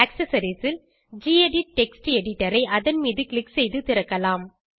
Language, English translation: Tamil, In Accessories, lets open gedit Text Editor by clicking on it